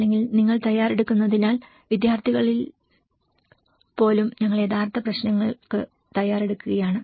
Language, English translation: Malayalam, Otherwise, because you are preparing, even in the students we are preparing for the real issues